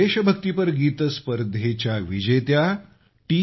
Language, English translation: Marathi, The winner of the patriotic song competition, T